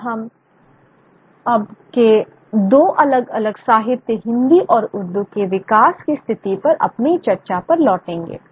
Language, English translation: Hindi, Now we shall return to our discussion on the position of the development of now very two different literatures between Hindi and Urdu